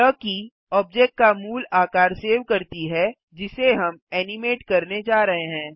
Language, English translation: Hindi, This key saves the original form of the object that we are going to animate